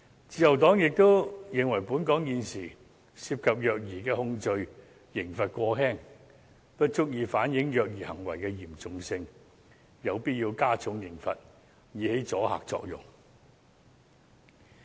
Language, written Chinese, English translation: Cantonese, 自由黨亦認為本港現時涉及虐兒的控罪刑罰過輕，不足以反映虐兒行為的嚴重性，有必要加重刑罰，以起阻嚇作用。, The Liberal Party also holds that the current penalty for child abuse in Hong Kong is too lenient to reflect the severity of the offence . Hence it is necessary to increase the penalty in order to ensure a deterrent effect